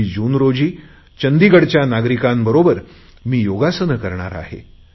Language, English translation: Marathi, I will be going this time to Chandigarh to participate in the programme on 21st June